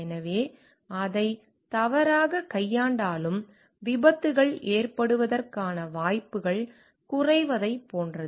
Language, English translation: Tamil, So, that it is like even if it is mishandled the chances of like accidents are reduced